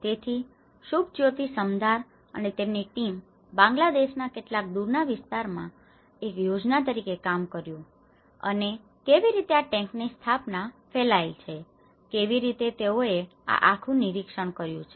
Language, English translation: Gujarati, So, Subhajyoti Samaddar and his team worked as a project in some remote area of Bangladesh and how this set up of tanks have been diffused and how they did this whole survey